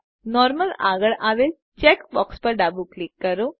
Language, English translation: Gujarati, Left click the check box next to Normal